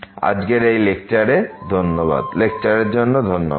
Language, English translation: Bengali, Thank you, for today’s lecture